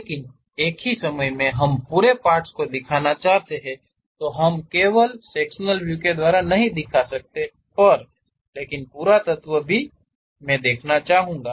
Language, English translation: Hindi, But at the same time, we want to represent the entire element; we do not want to have only sectional representation, but entire element also I would like to really see